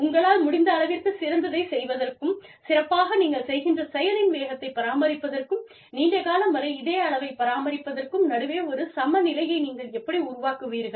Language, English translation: Tamil, How do you draw, a balance between, doing the best you can, and maintaining that speed of doing the best you can, and maintaining it over, you know, being consistent with it over longer periods of time